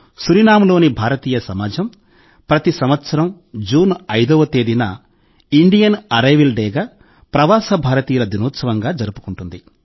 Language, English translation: Telugu, The Indian community in Suriname celebrates 5 June every year as Indian Arrival Day and Pravasi Din